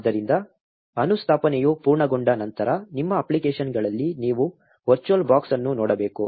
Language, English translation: Kannada, So, once the installation is complete, you should see virtual box in your applications